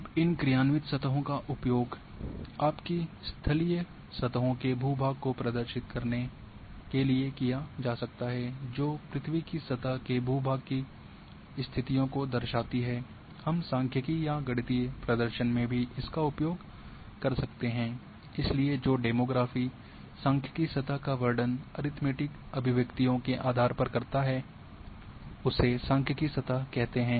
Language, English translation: Hindi, Now, these functional surfaces can be used to represent your terrestrial surfaces terrain which depicts the earth surface terrain conditions, we can also use in a statistics or mathematical representation so we call as statistical surfaces that describers the demography mathematical surfaces based on the arithmetic expressions